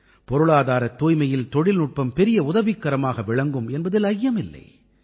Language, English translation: Tamil, It is true that technology can help a lot in economic cleanliness